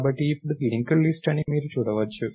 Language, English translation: Telugu, So, now, you can see that this is a linked list